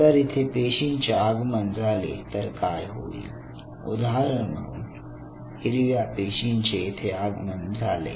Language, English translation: Marathi, Now, what will happen once the cell will approach here say for example, a green cell approaches here